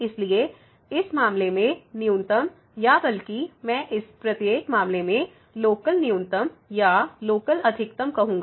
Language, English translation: Hindi, So, in this case the minimum or rather I would say the local minimum in each case or local maximum